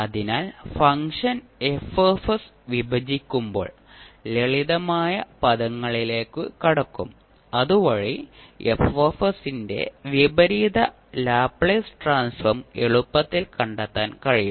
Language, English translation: Malayalam, So, when you break the function F s, you will break into simpler terms, so that you can easily find the inverse Laplace transform of F s